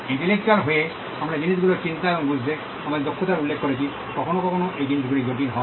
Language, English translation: Bengali, By being intellectual, we referred to our ability to think and understand things, sometimes these things are complicated